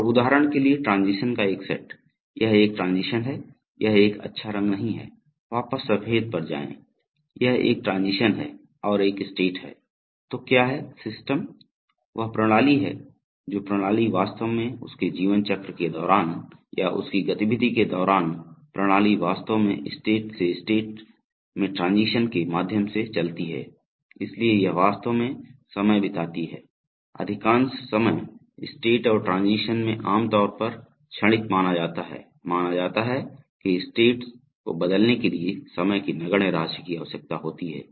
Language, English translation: Hindi, And a set of transitions for example, this is a transition, this is not a good color, go back to white, so this is a transition and this is a state, so this is a transition and this is a state, so what the system does is that system, the system actually during its life cycle or during its activity the system actually moves from states to states through transitions, so it actually spends time, most of the time in the states and transitions are generally assumed to be momentary that is, it is assumed that insignificant amount of time is required to change states